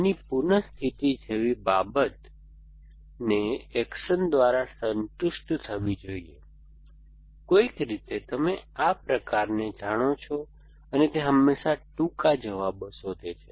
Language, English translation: Gujarati, Things like re condition of this must be satisfied by the action, by something you know that kind of some and they always find shortest answers